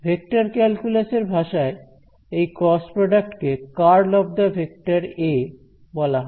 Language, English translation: Bengali, So, the cross product we know is in the language of vector calculus it is called the curl of the vector “a”